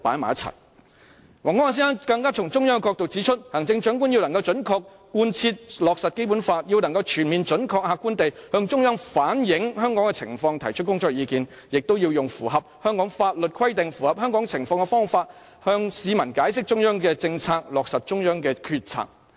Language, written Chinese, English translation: Cantonese, 王光亞先生更從中央的角度指出，"行政長官要能準確地貫徹落實《基本法》，要能全面、準確、客觀地向中央反映香港的情況，提出工作意見；也要用符合香港法律規定、符合香港情況的方法向市民解釋中央的政策，落實中央的決策"。, He further pointed out that from the Central Governments perspective the Chief Executive should be able to accurately take forward and implement the Basic Law to reflect comprehensively and accurately Hong Kongs situation to the Central Government in an objective manner and give his views on work . He should also explain to the public the Central Governments policies in a manner consistent with the laws of Hong Kong as well as the circumstances in Hong Kong and implement the policies decided by the Central Government